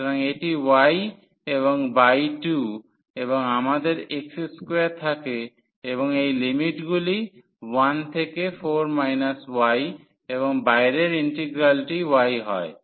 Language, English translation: Bengali, So, y sorry this is y and by 2 and we have x square and these limits from 1 to 4 minus y and the outer integral is y